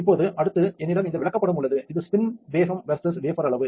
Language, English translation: Tamil, Now, next I have this chart here and this is wafer size versus spin speed